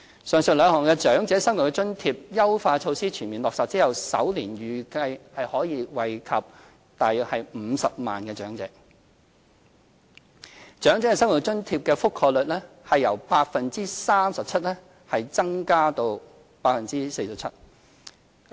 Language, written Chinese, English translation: Cantonese, 上述兩項長者生活津貼的優化措施全面落實後，預計首年將惠及約50萬名長者，長者生活津貼的覆蓋率將由 37% 增至 47%。, After completely adopting the above two enhancement measures on OALA we expect that this will benefit around 500 000 elderly persons in the first year increasing the coverage of OALA from 37 % to 47 %